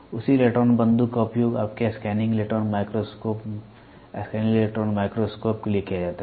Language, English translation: Hindi, The same electron gun is used to for your scanning electron microscope, scanning electron microscope